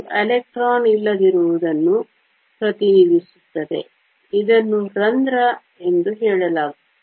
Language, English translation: Kannada, This represents the absence of an electron is called a hole